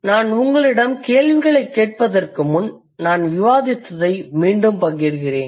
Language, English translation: Tamil, So, before I ask you the questions, I would just reiterate what I have discussed